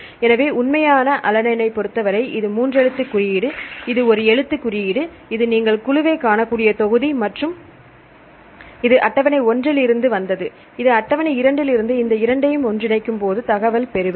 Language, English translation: Tamil, So, for actual alanine, this is the three letter code, this is the one letter code, this is the volume you can see the group and this is from table 1 and this is from table 2 that merge these two and I will get the information fine